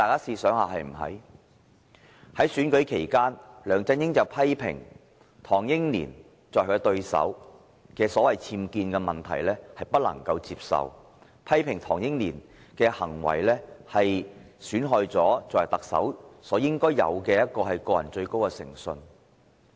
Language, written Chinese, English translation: Cantonese, 在選舉期間，梁振英批評他的對手唐英年的僭建問題不可接受，批評唐英年的行為損害了作為特首應有的個人最高誠信。, During the election LEUNG Chun - ying criticized his opponent Henry TANGs unauthorized building works incident unacceptable claiming such conduct had failed the highest personal integrity expected of the Chief Executive